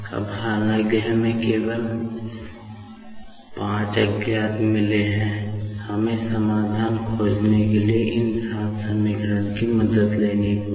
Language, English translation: Hindi, Now, although we have got only 5 unknowns, we will have to take the help of these seven equations to find out the solutions